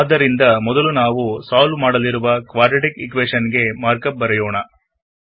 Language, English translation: Kannada, So first let us write the mark up for the quadratic equation that we want to solve